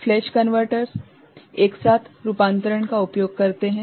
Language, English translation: Hindi, Flash converters are useful for flash convertors use simultaneous conversion